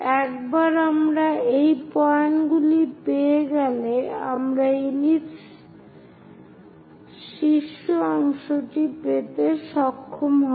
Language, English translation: Bengali, Once we have these points, we join them, so the top part of that ellipse we will get